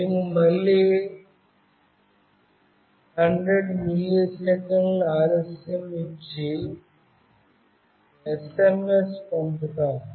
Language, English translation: Telugu, We again give a delay of 100 millisecond and send the SMS